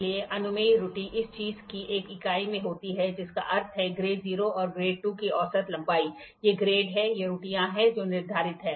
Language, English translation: Hindi, So, the permissible error is in one by this thing units in a mean length of grade 0 and grade 2 are stated, these are the grades these are the errors which are set